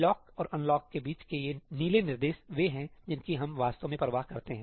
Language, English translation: Hindi, These blue instructions between the lock and unlock are the ones that we really care about